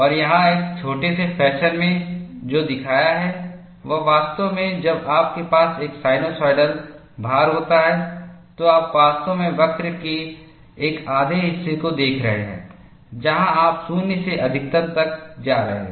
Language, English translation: Hindi, And what is shown here, in a tiny fashion, is actually, when you have a sinusoidal load, you are actually looking at one half of the curve there, where you are going from 0 to maximum